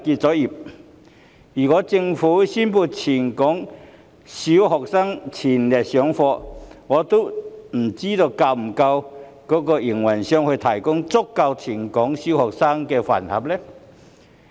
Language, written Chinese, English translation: Cantonese, 假如政府宣布全港小學恢復全日上課，我不知會否有足夠的飯盒供應商為全港小學生提供膳食。, If the Government announces that all primary schools in Hong Kong will resume whole - day session I wonder if there will be sufficient school lunch suppliers to provide meals for all primary school students in Hong Kong